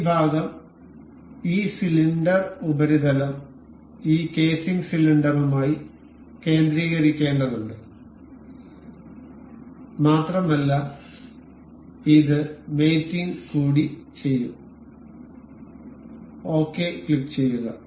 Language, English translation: Malayalam, This part, this cylindrical surface needs to be concentrated with this casing cylinder and will mate it up, click ok, nice